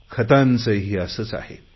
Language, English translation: Marathi, The same thing happens with fertilisers as well